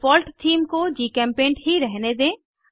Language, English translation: Hindi, Lets retain the Default Theme as GChemPaint